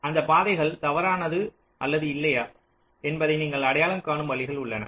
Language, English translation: Tamil, there are ways of identifying whether the path is false or not